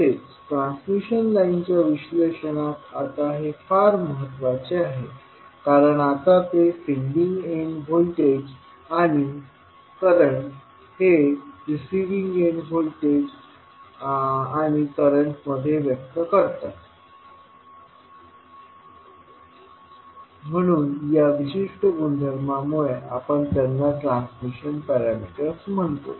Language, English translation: Marathi, Now this is very important in the analysis of transmission lines because now they are expressing the sending end voltages and currents in terms of receiving end voltage and current so because of this particular property we call them as a transmission parameters